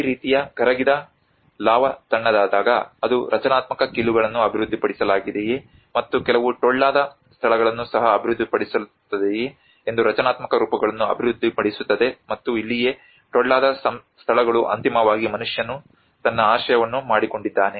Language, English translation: Kannada, \ \ \ When these kind of molten lava gets cooled up that is where it develops the structural forms whether structural joints are developed and some hollow spaces are also developed and this is where the hollow spaces becomes eventually man have made his shelters